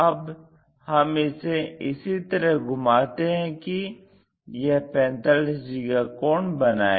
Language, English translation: Hindi, So, we rotate it in such a way that we will get this 45 degrees line